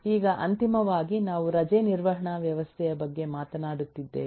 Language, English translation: Kannada, now all, finally, we are talking about a leave management system